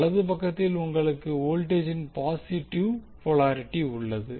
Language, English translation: Tamil, And at the right side you have positive polarity of the voltage